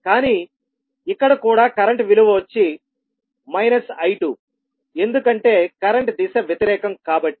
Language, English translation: Telugu, But here the value of current is also minus of I2 because the direction of current is opposite